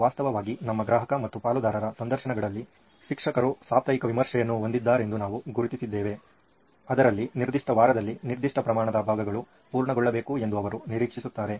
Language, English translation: Kannada, In fact in our customer and stake holder interviews,we have also come to identify that teachers have a weekly review wherein they are expected to see that certain amount of portions are completed in that particular week